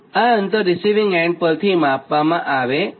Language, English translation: Gujarati, this distance is measured from receiving end right